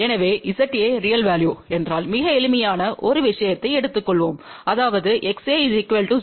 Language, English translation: Tamil, So, just let us take a very simple case of if Z A is real value ; that means, X A is equal to 0